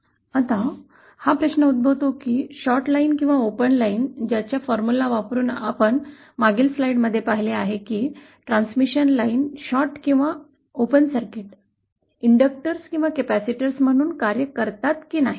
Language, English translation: Marathi, Now the question arises is this whether for the shorted line or for the open line using the formula that we saw in the previous slide, whether the transmission line acts as, shorted or open circuited transmission lines act as inductors or capacitors